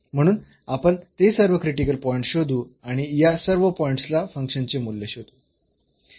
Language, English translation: Marathi, So, we will find all these critical points and find the values of the function at all these points